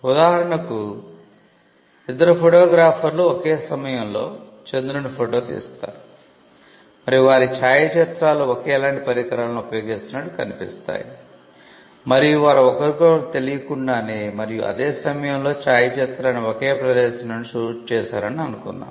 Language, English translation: Telugu, For instance, two photographers photograph the moon at the same time and their photographs look almost identical they use the same equipment and let us also assume that they shoot the photograph from similar location as well without knowledge of each other and at the same time